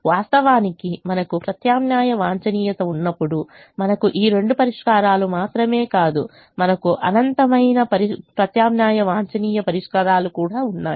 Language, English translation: Telugu, in fact, it's also said, it's also true that when we have alternate optimum, we not only have these two solutions, we also have infinite alternate optimum solutions